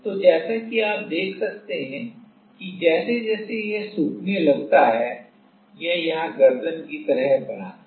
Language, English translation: Hindi, So, as you can see as it starts to get drying up then it forms a kind of neck here